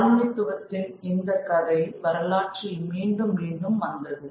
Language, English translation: Tamil, And this story of colonialism was repeated in a through history